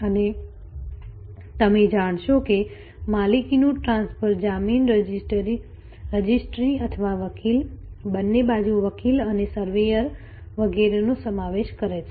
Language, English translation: Gujarati, And the ownership transfer will you know involve land registry or lawyer, on both sides lawyer and surveyor and so on